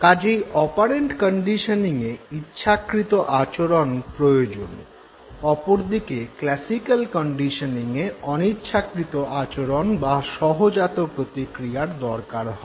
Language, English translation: Bengali, So, operant conditioning basically engages your voluntary behavior whereas classical conditioning it engages your involuntary behavior, the reflexes